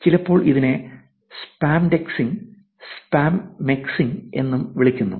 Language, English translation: Malayalam, Sometimes, it is also called spamdexing and spamexing